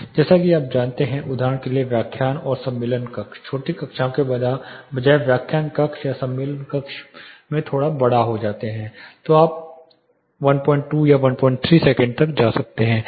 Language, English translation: Hindi, As you go for example, lecture and conference room, instead of small classrooms you go to lecture rooms or conference room slightly larger one then you can go up to 1